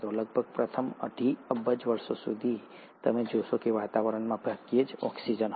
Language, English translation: Gujarati, Almost for the first two and a half billion years, you find that there was hardly any oxygen in the atmosphere